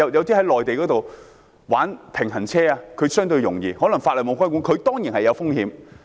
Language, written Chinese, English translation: Cantonese, 在內地玩平衡車，情況相對容易，可能因為法例沒有規管，但這樣當然是有風險的。, Riding Segways on the Mainland is relatively easier possibly because it is not legally regulated but there are surely certain risks